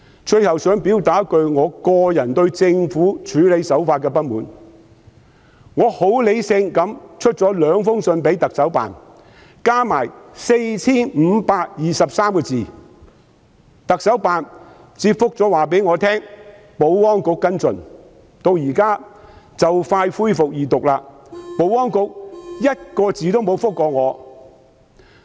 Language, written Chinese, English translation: Cantonese, 我很理性地向行政長官辦公室發出兩封信函，合共 4,523 字，特首辦回覆我交由保安局跟進，但至今即將恢復二讀，保安局連一個字都沒有回覆。, I have taken it rationally and sent two letters consisting of a total of 4 523 words to the Office of the Chief Executive . CEs Office replied me that they would hand them over to the Security Bureau for follow - up . Yet while the Second Reading of the Bill will soon be resumed the Security Bureau has not made any response not even a single word